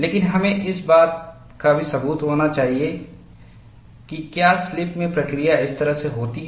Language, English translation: Hindi, But we need, also need to have an evidence whether slipping action takes in this fashion